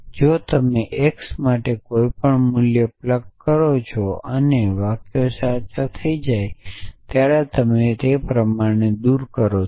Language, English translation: Gujarati, If you plug in any value for x and the sentences becomes true and you remove the quantify